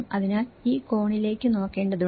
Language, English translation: Malayalam, So, one also has to look at this angle